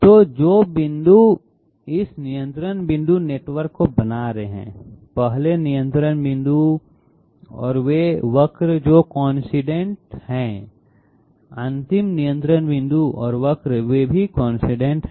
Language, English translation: Hindi, So the points which are making up this controlled point network, the 1st control point and the curve they are coincident, the last control point and curve they are also coincident